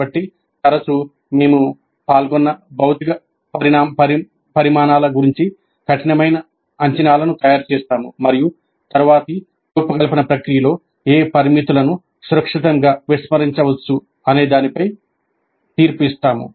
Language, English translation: Telugu, So often we make rough estimates of the physical quantities involved and make a judgment as to which parameters can be safely ignored in the subsequent design process